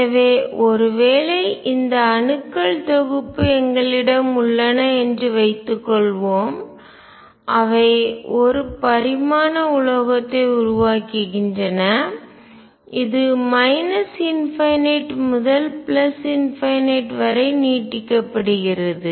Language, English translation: Tamil, So, suppose we have this set of atoms which are forming a one dimensional metal and this is extending from minus infinity to infinity